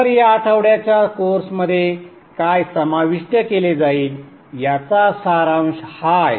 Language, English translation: Marathi, So this is in essence a summary of what will be covered in this week's course